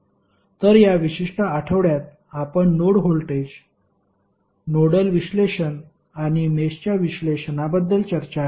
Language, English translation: Marathi, So, in this particular week we discussed about node voltage, nodal analysis and mesh analysis